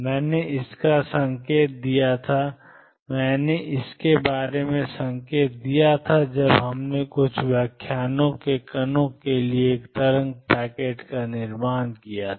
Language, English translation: Hindi, I had alluded to it I hinted about it when we constructed a wave packet for a particles few lectures back